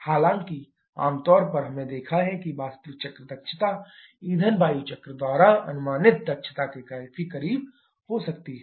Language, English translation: Hindi, However commonly we have seen that the efficiency of the actual cycle can be quite close to the efficiency predicted by the fuel air cycle